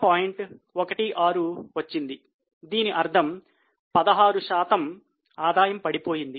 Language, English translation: Telugu, 16 that means 16% fall in the revenue